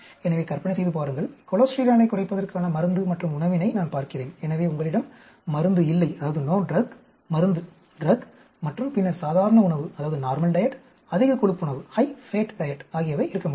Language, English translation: Tamil, So, imagine, I am looking at a drug and diet for cholesterol lowering, so you could have no drug, drug and then normal diet, high fat diet